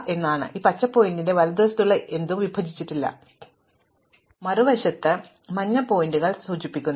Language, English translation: Malayalam, So, anything to the right of the green pointer is unpartitioned and the yellow pointer on the other hand is going to indicate